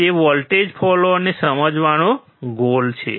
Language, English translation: Gujarati, That is the goal of understanding voltage follower